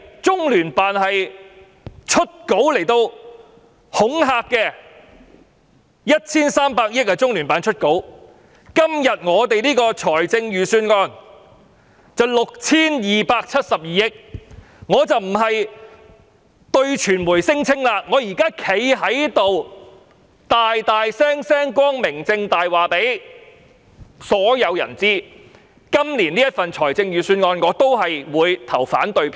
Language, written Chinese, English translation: Cantonese, 中聯辦為了 1,300 億元而發新聞稿，今天的預算案涉及 6,272 億元，我不單要對傳媒聲稱，更要站在議事堂，理直無壯及光明正大地告訴所有人，我對今年的預算案也會投反對票。, LOCPG issued a press release for a provision of 130 billion yet the Budget under discussion today that involves a funding of 627.2 billion . I will not only announce to the media but also stand in this Chamber to tell everyone righteously and openly that I will once again vote against this years Budget